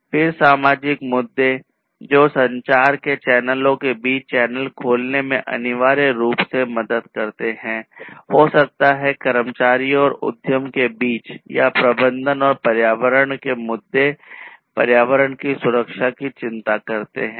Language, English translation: Hindi, Then social issues, which will essentially help in opening channels between channels of communication, maybe between employees and the enterprise or the management and environmental issues will concern the protection of the environment